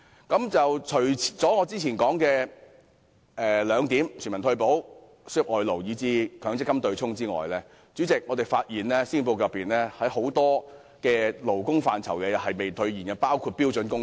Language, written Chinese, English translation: Cantonese, 主席，除了我之前提及的全民退休保障、輸入外勞及取消強積金對沖機制外，施政報告在多個勞工範疇上亦未能兌現承諾，包括標準工時。, President apart from universal retirement protection labour importation and the abolition of the MPF offsetting mechanism I mentioned just now the Policy Address has likewise failed to honour the undertakings on many labour issues including standard working hours